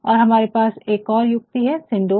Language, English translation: Hindi, And, again we have another device we call synecdoche